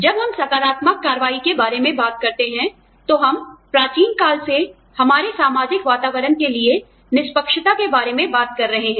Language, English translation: Hindi, When we talk about affirmative action, we are talking about, fairness to our social environment, from time immemorial